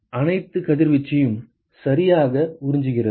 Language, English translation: Tamil, It absorbs all the incident radiation right